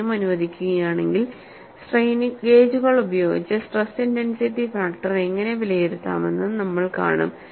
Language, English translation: Malayalam, If time permits, you would also see how to evaluate stress intensity factor using strain gauges